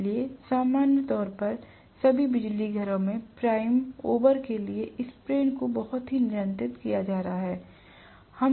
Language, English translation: Hindi, So, the sprain is very precisely controlled for the prime over in all the power stations normally